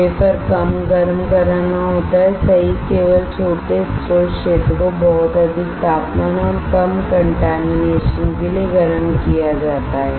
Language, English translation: Hindi, Less heating to the wafer right has only small source area is heated to a very high temperature and less contamination